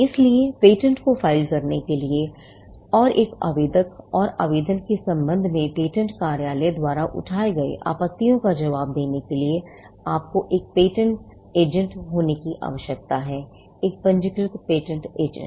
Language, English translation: Hindi, So, to draft and file patents and to answer objections raised by the patent office with regard to an applicant, application, you need to be a patent agent; a registered patent agent